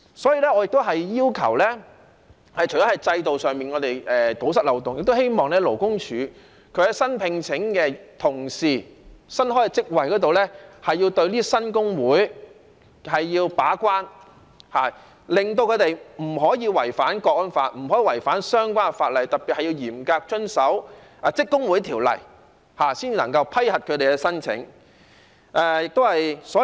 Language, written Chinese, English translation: Cantonese, 所以，我除了要求在制度上堵塞漏洞外，也希望勞工處在新聘請員工或新開職位時，要對新工會把關，令他們不能違反《香港國安法》，不能違反相關法例，特別是要嚴格遵守《職工會條例》，才能夠批核他們的申請。, Hence apart from requesting that the loopholes in the system be plugged I also hope that when the Labour Department recruits new staff or creates new posts it will keep the gate in respect of new trade unions to ensure that they will not violate the Hong Kong National Security Law and the relevant legislation . In particular they must strictly comply with the Trade Unions Ordinance . Only then can their applications be approved